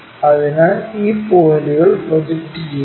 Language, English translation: Malayalam, So, project these points